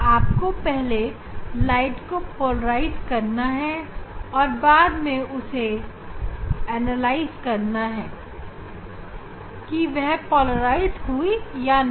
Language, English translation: Hindi, you have to polarize the light and whether it is polarized or not that also you have to analyze